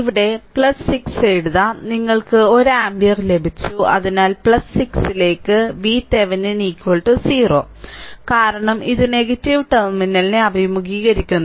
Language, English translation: Malayalam, So, I can write here plus 6 right and i is equal to you got 1 ampere right; so, plus 6 plus 6 into i minus V Thevenin is equal to 0 because it is encountering negative terminal passed